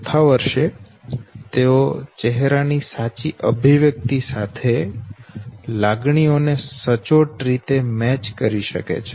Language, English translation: Gujarati, In the fourth year they can accurately match the basic emotions with the correct corresponding facial expression, okay